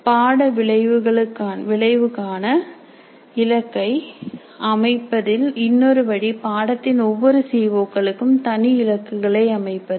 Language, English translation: Tamil, A other way of setting the targets for the course outcomes can be that the targets are set for each CO of a course separately